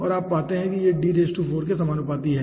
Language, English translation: Hindi, so you find out this is proportional to d to the power 4